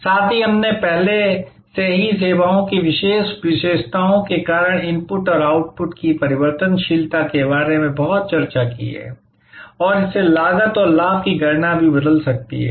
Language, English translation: Hindi, Also, we have already discussed a lot about the variability of inputs and outputs due to the particular characteristics of the services and this can also change the cost and benefit calculations